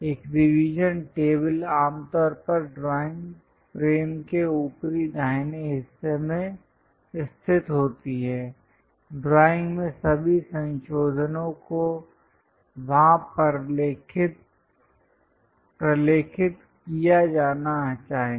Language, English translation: Hindi, A revision table is normally located in the upper right of the drawing frame all modifications to the drawing should be documented there